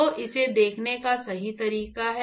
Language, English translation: Hindi, So, that is the correct way of looking at it